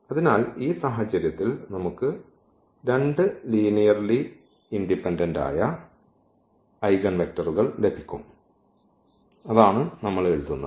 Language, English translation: Malayalam, So, in this case we will get two linearly independent eigenvectors, and that is what we write